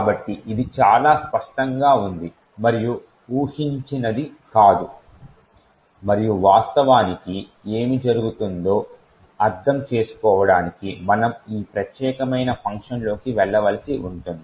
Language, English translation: Telugu, So, this is of course quite counter intuitive and not what is expected and in order to understand what actually is happening we would have to go into this particular function